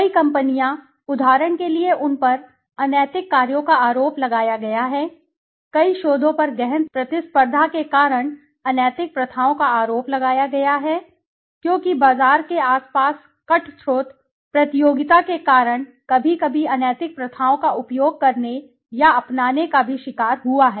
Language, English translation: Hindi, Several companies, for example, have been accused they have been accused of unethical practices; several researches have been accused of unethical practices so marketing because of the intense competition, because of the cutthroat you know competition around marketers also have fallen prey to you know sometimes utilizing or adopting unethical practices